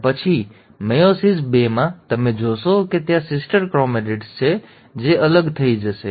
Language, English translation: Gujarati, And then, in meiosis two, you will find that there are sister chromatids which will get separated